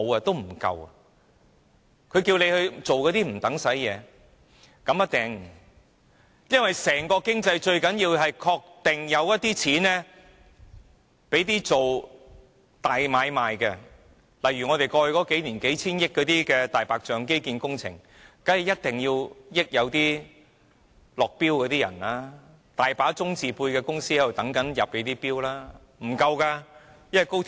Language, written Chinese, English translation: Cantonese, 大家可以放心，整體經濟最重要是確保有資金進行大買賣，例如過去數年便有多項數千億元的"大白象"基建工程，政府當然要確保落標者得益，很多"中"字輩的公司都在伺機入標。, What matters most to the overall economy is to ensure that there is money for big business . For example in the past few years there are a number of white elephant infrastructure projects involving billions of dollars . The Government will of course make sure that the bidders will benefit and hence many companies with Chinese background have bid for the contracts